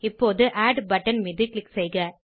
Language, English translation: Tamil, Now lets click on Add button